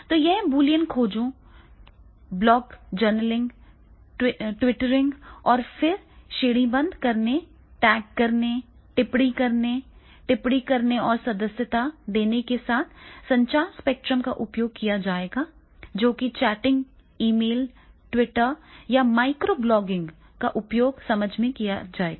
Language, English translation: Hindi, So, therefore these are the searches with the Boolean searches, blog journaling, twittering, then the categorizing, then the tagging, commenting, annotation and subscribing and the communication spectrum, which will be used for this that will be the chatting, emailing and the twittering or the microblogging this will be the communication spectrum, which will be used for the understanding